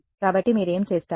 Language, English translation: Telugu, So, what would you do